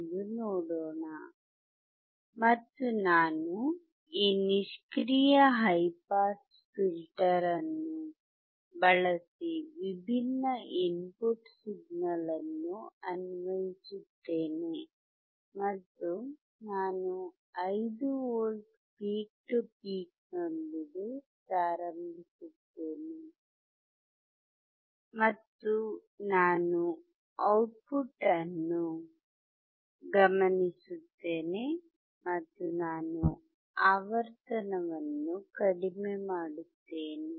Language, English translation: Kannada, I will connect this passive high pass filter, and apply different signal at the input different signal when I say is I will change the I will start with 5V peak to peak and I will observe the output, and I will decrease the frequency, you see, I will keep on decreasing the frequency